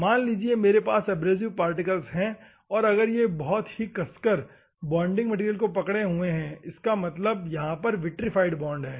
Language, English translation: Hindi, Whether if the abrasive particle is there, assume that I have an abrasive particle if it is tightly held the bonding material where how do I make, assume that vitrified bond